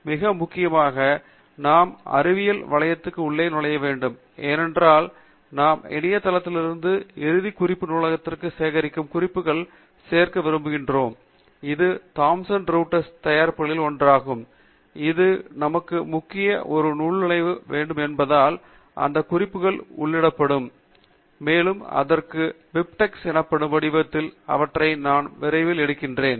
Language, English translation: Tamil, And most important, we need the login to Web of Science because we want to be able to add the references which we collect from Web of Science into End Note Library which is also one of the products of Thomson Reuters and its important for us to have a login because that is where the references will be entered, and only after that we can take them out in the format called BibTeX which I will be illustrating shortly